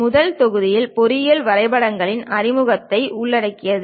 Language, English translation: Tamil, The first module covers introduction to engineering drawings